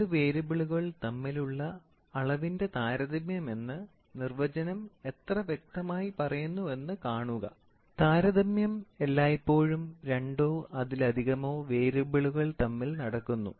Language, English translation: Malayalam, So, look at it how clearly the definitions states is quantitative comparison between two variables; comparison always happens between two or many